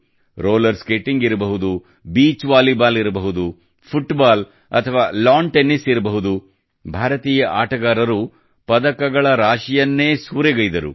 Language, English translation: Kannada, Be it Roller Skating, Beach Volleyball, Football or Lawn Tennis, Indian players won a flurry of medals